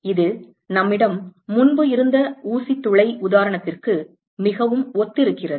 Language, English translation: Tamil, It is very similar to the pinhole example that we had before